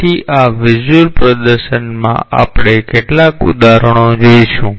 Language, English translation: Gujarati, So, in these visual demonstrations, we will see some example